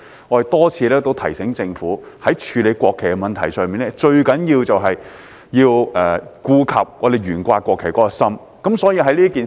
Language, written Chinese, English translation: Cantonese, 我們多次提醒政府在處理國旗的問題上，最重要的是顧及我們懸掛國旗的心意。, We have repeatedly reminded the Government that the most important thing in dealing with the national flag is to take into account our intention of flying the national flag